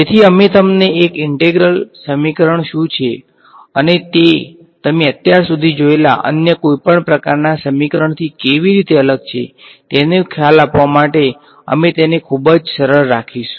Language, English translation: Gujarati, So, we will keep it very very simple to give you an idea of what exactly is an integral equation and how is it different from any other kind of equation you have seen so far right